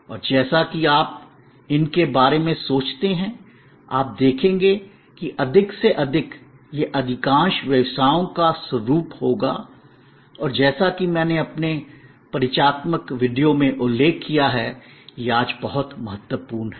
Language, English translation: Hindi, And as you think about these, you will see that more and more, these will be the nature of most businesses and as I mentioned in my introductory video, this is very important today